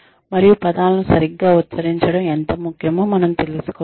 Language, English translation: Telugu, And, that point one realizes, how important it is to pronounce words properly